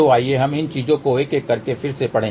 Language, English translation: Hindi, So, let us go through these things one by one again